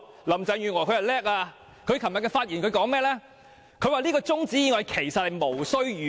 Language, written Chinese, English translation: Cantonese, 林鄭月娥很厲害，她昨天發言時說，中止待續議案其實無須預告。, Carrie LAM is magnificent . Yesterday she said that a motion for adjournment of debate could be moved without notice